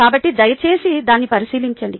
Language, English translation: Telugu, ok, so please take a look at that here